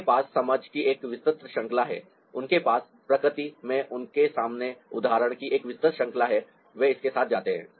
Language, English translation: Hindi, they have a wide range of understanding, they have a wide range of example in front of them in nature and they go with it